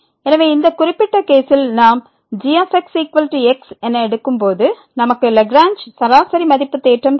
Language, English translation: Tamil, So, in this particular case when we take is equal to we will get the Lagrange mean value theorem